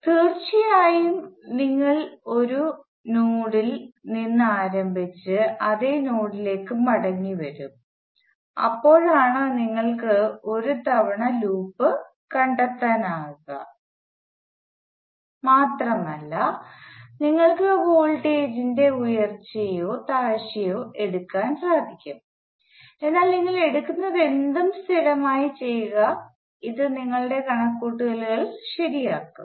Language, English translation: Malayalam, Of course, you start from a node and come back to the same node that is when you would have trace the loop once and just like you can take the rise you can also equally will take fall, but whichever you take you just do it consistently so that your calculations are correct